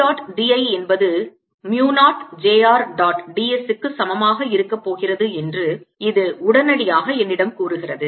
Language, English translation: Tamil, this immediately tells me that d dot d l is going to be equal to mu, not j r dot d s